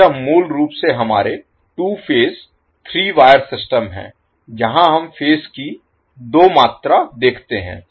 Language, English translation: Hindi, So, this is basically our 2 phase 3 wire system where we see the phases or 2 in the quantity